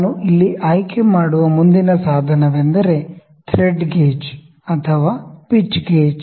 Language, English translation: Kannada, So, the next instrument I will pick here is the Thread Gauge or Pitch Gauge